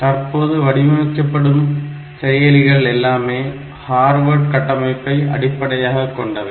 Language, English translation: Tamil, So, the processors that are designed now, they are mostly based on Harvard architecture because of this thing